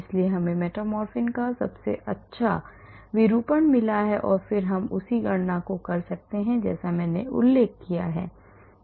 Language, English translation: Hindi, so we got the best conformation of metformin and then we can do the same calculations like I mentioned